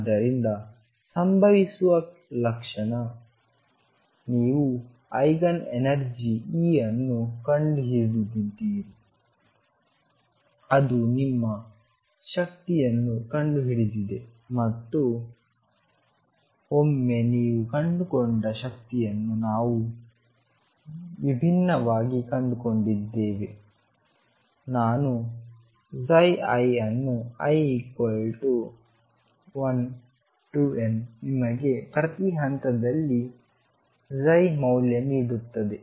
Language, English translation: Kannada, So, the moment that happens you have fund the Eigen energy E whichever E that happens for your found that energy and once you have found that energy you have also found psi i at different is i equals 1 through n gives you the value of psi at each point